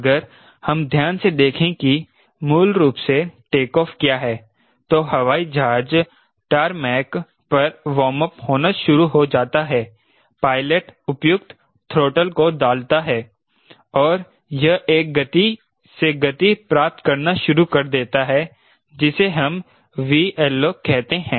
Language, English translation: Hindi, if we carefully see what is basically a takeoff, the air frame starts warming up on the tarmac, the pilot could the truckle appropriate truckle and you stats gaining speed at a speed which we call v lift off